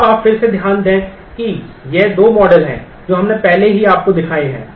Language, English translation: Hindi, Now mind you again this is these are the two models that we have I have already shown you